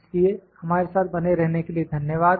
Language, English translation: Hindi, So, thank you for being with us